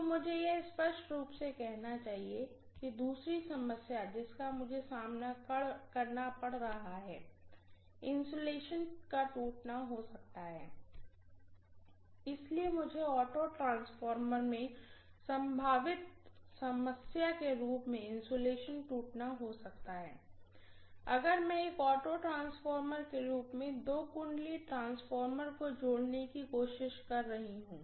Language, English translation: Hindi, So I should say clearly the second problem that I may face is insulation rupture can happen, so I can have may be insulation rupture as a potential problem in an auto transformer if I am trying to connect a two winding transformer as an auto transformer